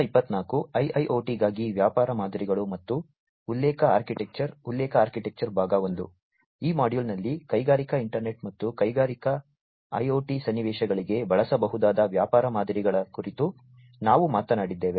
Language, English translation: Kannada, In this module, we have talked about the business models that could be used for Industrial internet and Industrial IoT scenarios